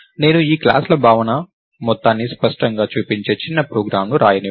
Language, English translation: Telugu, write a small program which shows how clean this notion of classes makes the whole program